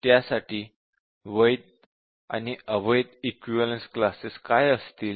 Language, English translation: Marathi, So, what will be the invalid equivalence class